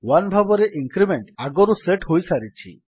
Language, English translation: Odia, The increment is already set as 1